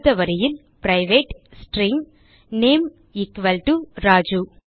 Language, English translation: Tamil, Next line private string name =Raju